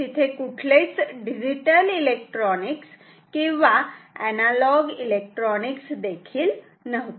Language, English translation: Marathi, There were no digital electronics neither analog electronics nothing